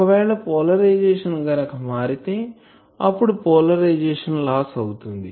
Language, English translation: Telugu, If polarization change , then there will be polarization loss